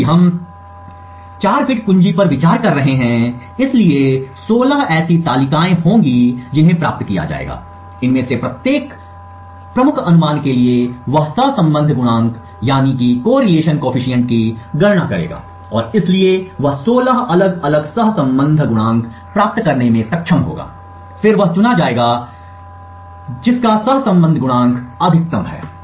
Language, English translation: Hindi, Since we are considering a 4 bit key, so there would be 16 such tables which would be obtained, for each of these key guesses he would compute the correlation coefficient and therefore he would be able to get 16 different correlation coefficients, he would then chose the one correlation coefficient which is the maximum